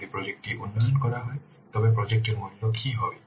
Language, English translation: Bengali, If the project will be developed, what will the value of the project